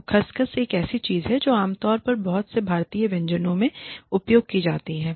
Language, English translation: Hindi, So, Khus Khus is something, that is very commonly used, in many Indian dishes